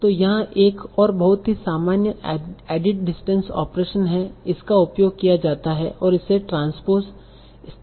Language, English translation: Hindi, So there is another very common added distance operation that is used and this is called transpose